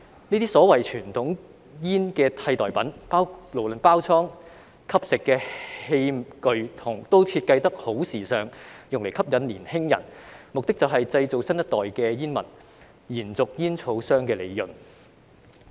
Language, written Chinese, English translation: Cantonese, 這些所謂傳統煙的替代品，無論是包裝或吸食的器具也設計得十分時尚，用以吸引年輕人，目的就是製造新一代的煙民，延續煙草商的利潤。, These so - called substitutes for conventional cigarettes whether in terms of packaging or the smoking devices used have fashionable designs to attract young people aiming to create a new generation of smokers to sustain the profits of tobacco companies